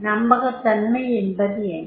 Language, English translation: Tamil, What is the credibility